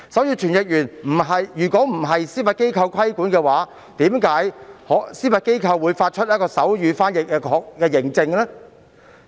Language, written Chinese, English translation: Cantonese, 如傳譯員不受司法機構規管，為何司法機構可發出手語傳譯認證？, If interpreters were not regulated by the Judiciary why can the Judiciary accredit sign language interpreters?